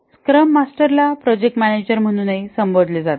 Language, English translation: Marathi, The scrum master is also called as a project manager